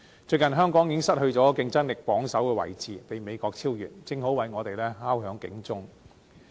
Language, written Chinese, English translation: Cantonese, 最近，香港已經失去競爭力榜首的位置，被美國超越，正好為我們敲響警鐘。, Recently Hong Kong has been overtaken by the United States and lost the top competitiveness ranking to it . The alarm has already been sounded